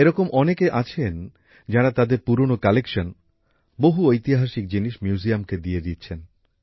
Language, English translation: Bengali, Many people are donating their old collections, as well as historical artefacts, to museums